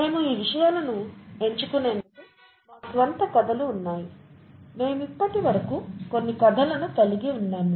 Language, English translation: Telugu, We have our own stories through which we pick up these things; we have had a few stories so far